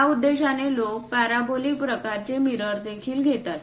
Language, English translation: Marathi, For that purpose also people go with parabolic kind of mirrors